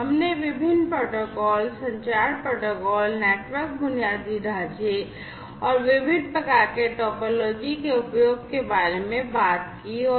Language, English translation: Hindi, We talked about the different protocols, the communication protocols, the network infrastructure, and so on the different types of topologies that could be used, and so on